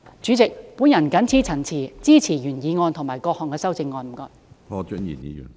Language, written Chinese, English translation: Cantonese, 主席，我謹此陳辭，支持原議案及各項修正案。, With these remarks President I support the original motion and its amendments